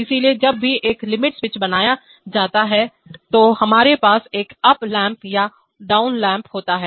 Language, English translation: Hindi, So whenever a limit switch is made, we have an up lamp or and a down lamp